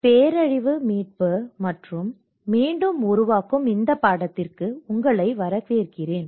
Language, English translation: Tamil, Welcome to the course disaster recovery and build back better